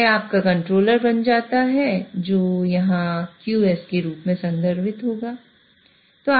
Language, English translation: Hindi, So, that becomes your controller which here will be referring as QS